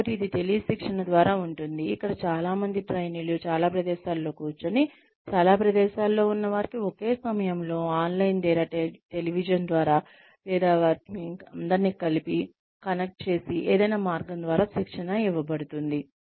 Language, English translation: Telugu, So, will it be through tele training, where many trainees, many locations are given, sitting in, in many locations are given, training at the same time, either online or over television, or by some way of connecting them together